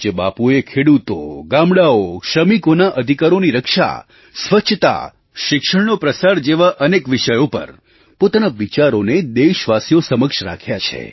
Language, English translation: Gujarati, Revered Bapu, put forth his ideas on various subjects like Farmers, villages, securing of labour rights, cleanliness and promoting of education